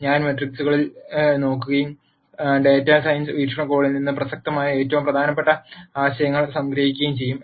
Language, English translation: Malayalam, I am going to look at matrices and summarize the most important ideas that are relevant from a data science viewpoint